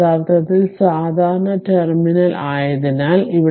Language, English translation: Malayalam, And as this is actually common terminal so right